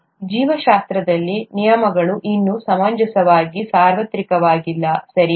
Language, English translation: Kannada, But in biology, the rules are not yet reasonably universal, okay